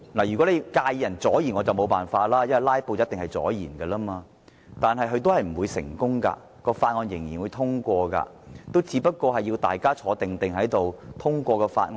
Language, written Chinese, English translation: Cantonese, 如果他介意議員阻延議程，我也沒法子，因為"拉布"一定會阻延議程，但"拉布"是不會成功的，法案最終仍然會獲得通過，只要議員乖乖坐在席上，通過法案。, If he is unhappy about Members delaying the proceedings I can do nothing about it because filibustering will definitely delay the proceedings . However filibustering will not succeed because the bill will eventually be passed provided that Members will remain seated obediently in the Chamber to pass it